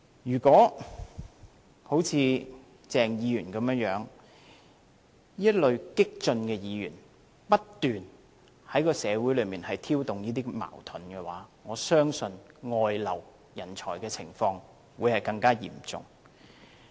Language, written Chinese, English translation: Cantonese, 如果好像鄭議員這類激進的議員，不斷在社會上挑動矛盾，我相信人才外流的情況會更加嚴重。, If radical Members such as Dr CHENG continue to provoke conflicts in society I believe the problem of brain drain will worsen